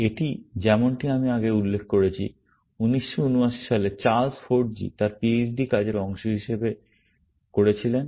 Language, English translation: Bengali, It was, as I mentioned earlier, given by Charles Forgy in 1979 as a part of his PHD work